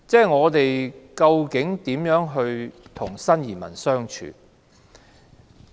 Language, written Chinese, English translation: Cantonese, 我們究竟如何與新移民相處？, How should we get along with the new immigrants?